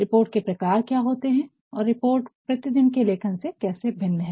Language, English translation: Hindi, What are the types of report and how these reports vary from everyday writings